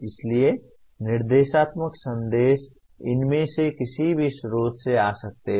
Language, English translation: Hindi, So the instructional messages can come from any of these sources